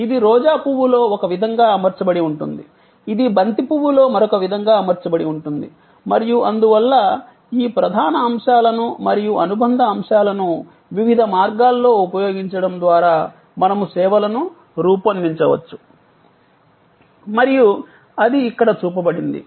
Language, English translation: Telugu, It is arranged in one way in Rose, it is arranged in another way in a Marigold flower and therefore, we can design services by using these core elements and the supplement elements different ways and that is shown here